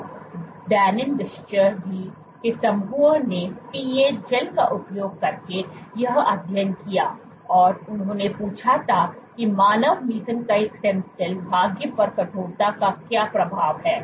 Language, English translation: Hindi, So, the group of Dennis Discher did this study using PA gels, he asked that what is the effect of stiffness on human mesenchymal stem cell fate